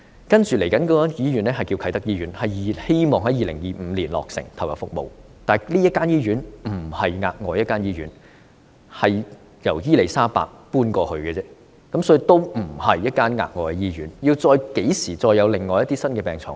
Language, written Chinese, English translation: Cantonese, 接着落成的醫院是啟德醫院，希望能夠在2025年投入服務，但這間醫院不是額外新建醫院，而是由伊利沙伯醫院搬遷過去的，所以並不是一間額外新建的醫院。, The hospital that will be commissioned soon is the Kai Tak Hospital which hopefully can provide service in 2025 . But this hospital is not an additional hospital as it is built for the relocation of the health care services of Queen Elizabeth Hospital . It is thus not an additionally built hospital